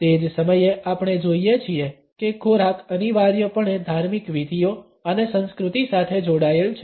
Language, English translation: Gujarati, At the same time we find that food is linked essentially with rituals and with culture